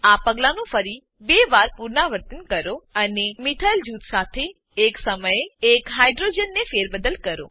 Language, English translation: Gujarati, Repeat this step another 2 times and replace one hydrogen at a time with a methyl group